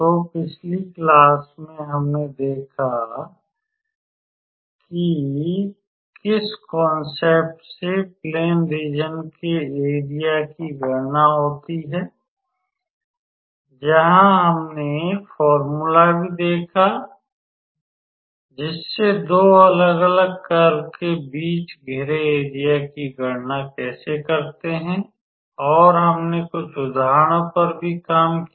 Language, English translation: Hindi, So, in the last class we looked into the concepts of how calculating Area of Plane Regions where we have also looked into the formula how do we calculate the area which is bounded between 2 different curves, we also worked out few examples